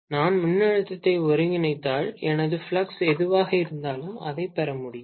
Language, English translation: Tamil, If I integrate the voltage, I should be able to get actually whatever is my flux